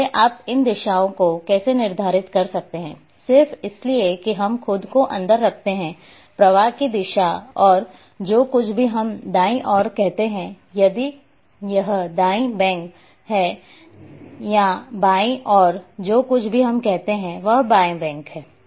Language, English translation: Hindi, So, how you be determined these directions, these directions just because we put ourselves in the direction of flow and whatever on the right side we say this is right bank and whatever on the left we say left bank